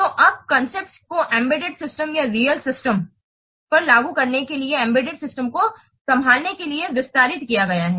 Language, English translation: Hindi, So now these concepts have been extended to handle embedded systems to apply on embedded systems or real time systems